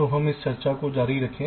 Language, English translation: Hindi, so let us continue with a discussion